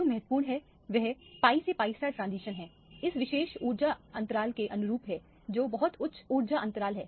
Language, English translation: Hindi, What is important is the transition pi to pi star, in this particular case correspond to this particular energy gap, which is the very high energy gap